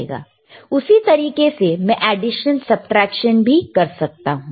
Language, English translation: Hindi, Similarly, I can do addition, similarly I can the subtraction right